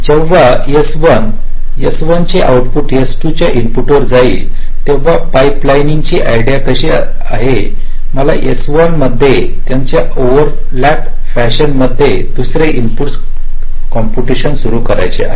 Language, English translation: Marathi, now, when, when this s one output of s one goes to input of s two, the idea of pipelining is: i want to start the second input computation in s one in the same over lap fashion